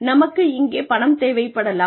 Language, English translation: Tamil, We may have some money here